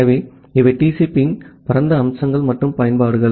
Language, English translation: Tamil, So, these are the broad features and the uses of TCP